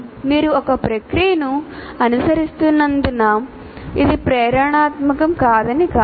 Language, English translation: Telugu, It does not, just because you are following a process, it doesn't mean that it is not inspirational